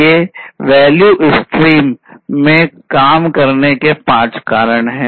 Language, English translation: Hindi, These are the five steps of work in the value streams